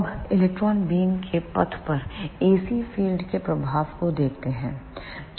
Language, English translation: Hindi, Now, let us see the effect of ac field on the path of electron beam